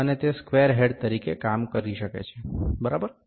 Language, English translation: Gujarati, And it can work as a square head, ok